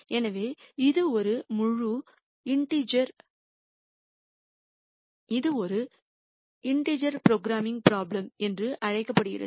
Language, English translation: Tamil, So, this is called a integer programming problem